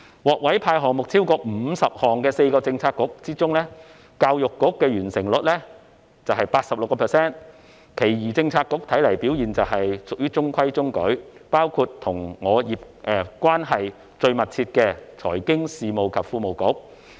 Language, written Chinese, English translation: Cantonese, 獲委派超過50個項目的4個政策局之中，教育局的完成率是 86%， 其餘政策局看來表現屬中規中矩，包括與我關係最密切的財經事務及庫務局。, Among the four Policy Bureaux which have been assigned more than 50 initiatives the Education Bureau has achieved a completion rate of 86 % whereas the remaining Policy Bureaux including the Financial Services and the Treasury Bureau which is the most closely related to me appear to have just performed so - so